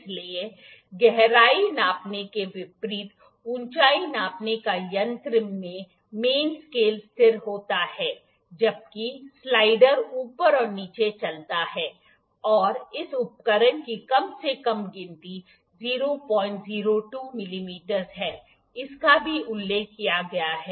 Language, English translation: Hindi, So, unlike in the depth gauge the main scale in the height gauge is stationary while the slider moves ups and down and the least count of this instrument is 0